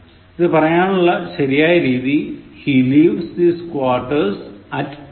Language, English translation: Malayalam, The correct way to say the same thing is; He leaves his quarters at 8:00a